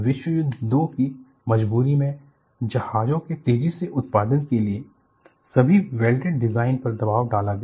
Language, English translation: Hindi, Exigencies of World War 2 put a pressure on speedy production of ships leading to all welded design